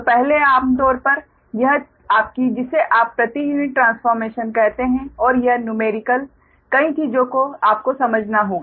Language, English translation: Hindi, so first, generally, this, ah, your, what you call this per unit transformation and this numerical, many things you have to understand